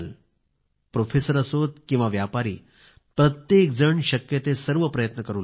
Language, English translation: Marathi, Be it a professor or a trader, everyone contributed in whatever way they could